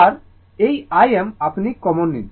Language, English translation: Bengali, And this I m you take common